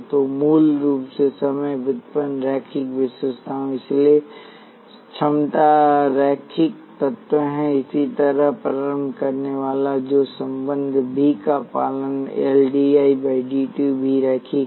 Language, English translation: Hindi, So, basically the time derivative linear characteristics, so capacity is the linear element; similarly inductor which obeys relationship V is L dI by dt is also linear